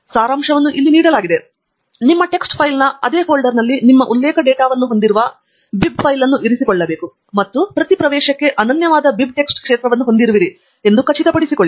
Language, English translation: Kannada, A summary is given here: you have to keep the bib file containing your reference data in the same folder as your tex file and ensure that the bib file contains the BibTeX field unique for every entry